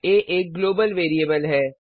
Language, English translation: Hindi, What is a Global variable